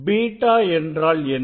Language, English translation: Tamil, What is beta